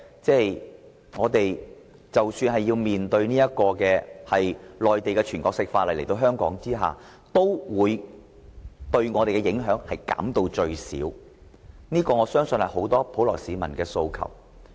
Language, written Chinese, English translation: Cantonese, 即使我們要面對在香港行使內地的全國性法律，也要把影響減至最少，我相信這是很多普羅市民的訴求。, Even if we will see the enforcement of the Mainlands national laws in Hong Kong we must try to minimize the impacts . I believe this is the aspiration of the general public